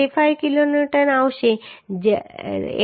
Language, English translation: Gujarati, 65 kilonewton right 800